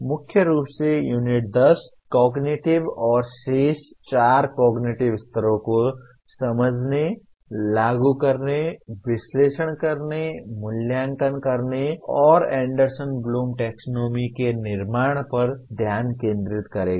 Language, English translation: Hindi, Mainly the Unit 10 will focus on understanding the cognitive/ remaining four cognitive levels, Apply, Analyze, Evaluate, and Create of Anderson Bloom Taxonomy